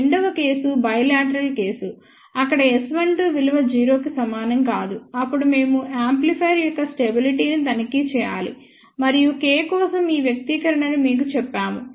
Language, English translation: Telugu, Second cases bilateral case where S 12 is not equal to 0, then we have to check stability of the amplifier and had told you this expression for K